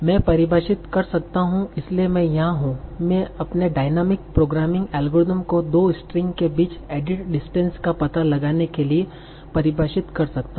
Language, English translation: Hindi, So, I can define, so here I can define my dynamic programming algorithm for finding out the additions between two strings